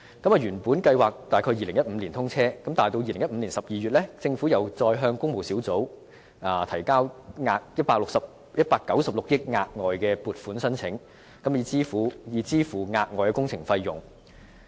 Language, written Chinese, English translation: Cantonese, 原本計劃在2015年通車，但到了2015年12月，政府再向工務小組委員會提交196億元的額外撥款申請，以支付額外工程費用。, According to the original plan the project would be commissioned in 2015 . Nevertheless in December 2015 the Government submitted an additional funding application in the amount of 19.6 billion to the Public Works Subcommittee so as to pay for the extra project cost